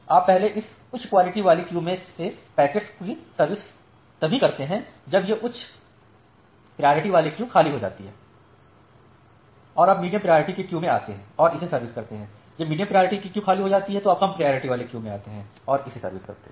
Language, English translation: Hindi, So, you first serve the packets from this high priority queue only when this high priority queue becomes empty then you come to the medium priority queue and serve it, when the medium priority queue becomes empty then you come to the low priority queue and serve it